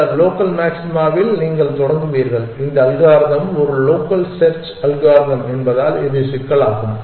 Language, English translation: Tamil, You will get start in this local maxima and that is the problem that terms because of the fact that this algorithm is a local search algorithm